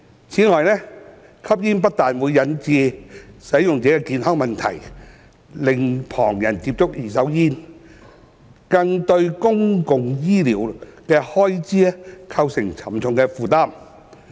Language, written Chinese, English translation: Cantonese, 此外，吸煙不但引致使用者的健康問題，令旁人接觸二手煙，更對公共醫療開支構成沉重負擔。, Moreover smoking does not only cause health problems on users and exposes bystanders to side - stream emissions but also imposes heavy burden on public healthcare expenditure